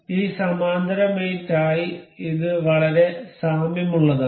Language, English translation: Malayalam, This is very similar to this parallel mate